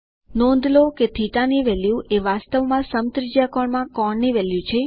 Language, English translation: Gujarati, Notice that the value of θ is actually the value of the angle in radian